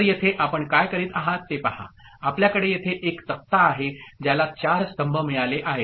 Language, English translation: Marathi, So, here what we are doing you see, we have a table here right, which has got four columns